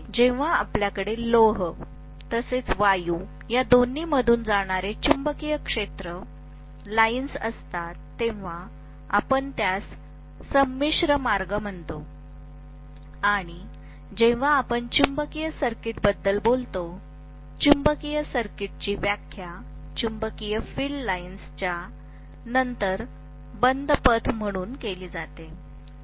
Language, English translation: Marathi, When we have the magnetic field lines passing through both iron as well as air we call that as a composite path and when we talk about magnetic circuit; the magnetic circuit is defined as the closed path followed by the magnetic field lines